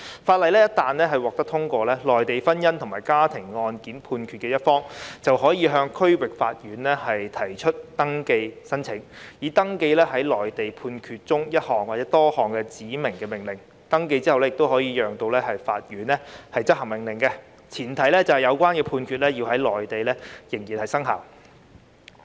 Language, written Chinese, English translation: Cantonese, 《條例草案》一旦獲得通過，取得內地婚姻或家庭案件判決的一方，便可向區域法院提出登記申請，以登記該內地判決中的一項或多項指明命令；完成登記後亦可由法院執行命令，前提是有關判決在內地仍然生效。, Once the Bill is passed a party to a Mainland judgment given in a matrimonial or family case may apply to a district court for registration in respect of one or more specified orders in the Mainland judgment . Such orders can also be enforced by the Hong Kong court after registration provided that the concerned judgment is still valid in the Mainland